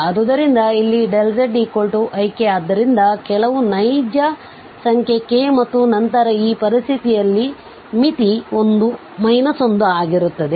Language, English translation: Kannada, So, here delta z is equal to ik therefore some real number k and then in this situation, the limit is going to be minus 1